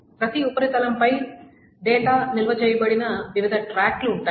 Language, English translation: Telugu, On each surface there are different tracks on which the data is stored